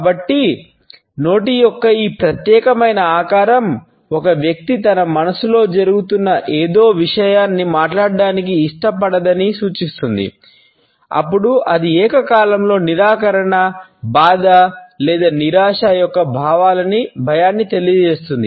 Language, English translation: Telugu, So, whereas, this particular shape of the mouth indicates that a person does not want to a speak something which is going on in his or her mind, then it also simultaneously communicates a fear of disapproval, distress or frustration